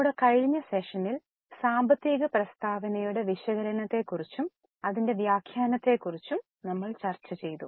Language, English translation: Malayalam, In our last session we had started of financial statement and its interpretation